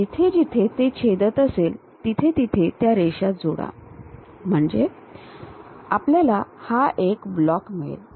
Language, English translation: Marathi, So, wherever it is intersecting connect those lines so that, we will have this block